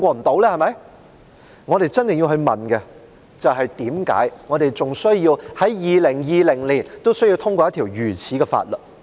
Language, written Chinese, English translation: Cantonese, 但我們真的要問，為何我們在2020年還需要通過一項如此的法律？, But we really must ask why we still need to pass such a piece of legislation in 2020